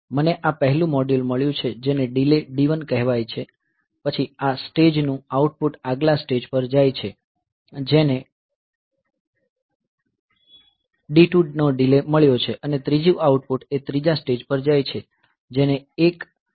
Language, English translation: Gujarati, So, so this is the say I have got this first module which is say of delay D 1 then the output of this stage goes to the next stage that has got a delay of D 2 and the third was a third output of that stage goes to the third stage that has got a delay of D 3